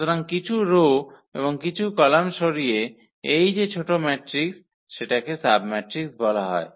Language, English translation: Bengali, So, whatever this smaller matrix by removing some rows and some columns, that is called the submatrix